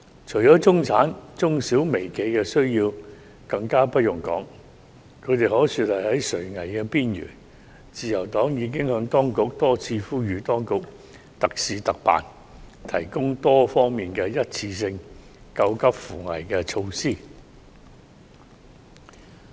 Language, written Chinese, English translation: Cantonese, 除了中產，中小微企的需要更不用多說，他們可說是在垂危的邊緣，自由黨已多次呼籲當局特事特辦，提供多方面的一次性救急扶危措施。, The middle class aside I do not need to speak much on the needs of SMEs which are in a critical situation . The Liberal Party has repeatedly urged the Administration to implement special measures under special circumstances and introduce various one - off emergency relief measures